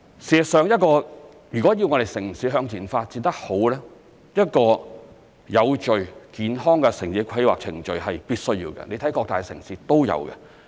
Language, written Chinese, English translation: Cantonese, 事實上如果要我們的城市向前發展得好，一個有序、健康的城市規劃程序是必需要的，你看各大城市都有。, In fact an orderly and sound town planning regime is indispensable for the good development for our city in the future as we can see in many big cities